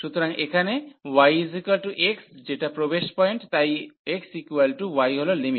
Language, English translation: Bengali, So, here the x is equal to y that is the entry point, so x is equal to y that is the limit